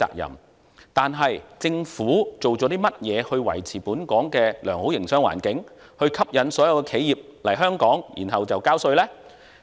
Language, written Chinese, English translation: Cantonese, 然而，政府做了甚麼去維持本港的良好營商環境，以吸引所有企業來香港，然後交稅呢？, However what has the Government done to maintain the good business environment of Hong Kong so as to attract all enterprises to come and eventually pay taxes?